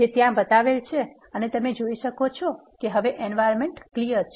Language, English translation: Gujarati, Which is shown there and you can see the environment is empty now